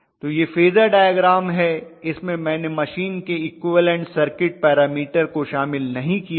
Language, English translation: Hindi, So this is what is the phasor diagram basically, for the machine which I have not still included the equivalent circuit parameters